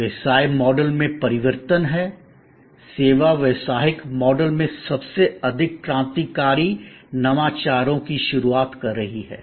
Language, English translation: Hindi, There are changes in the business models; service is perhaps introducing the most number of revolutionary innovations in business models